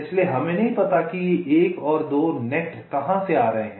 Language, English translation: Hindi, so we do not know exactly from where this one and two nets are coming